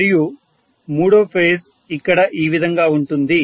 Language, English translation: Telugu, And the third base here like this, right